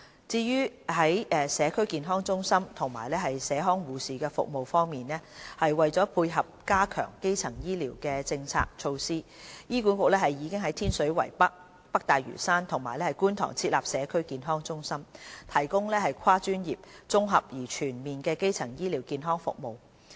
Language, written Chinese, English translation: Cantonese, 至於社區健康中心及社康護士的服務方面，為配合加強基層醫療的政策措施，醫管局已於天水圍北、北大嶼山及觀塘設立社區健康中心，提供跨專業、綜合而全面的基層醫療健康服務。, In respect of the CHCs and the community nursing services to tie in with the policy of strengthening primary health care HA has already set up CHCs in Tin Shui Wai North North Lantau and Kwun Tong to provide multidisciplinary primary health care services in an integrated and comprehensive manner